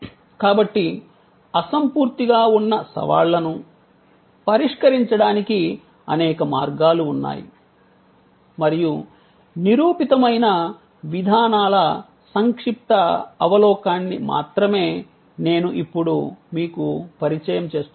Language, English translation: Telugu, So, there are number of ways of addressing the challenge of intangibility and I am now going to only introduce to you, a brief overview of those proven approaches